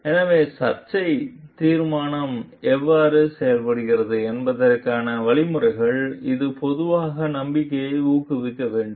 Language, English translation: Tamil, So, the means of how the dispute resolution is done it should inspire general confidence